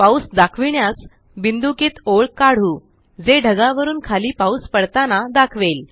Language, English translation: Marathi, To show rain, lets draw dotted arrows, which point downward from the cloud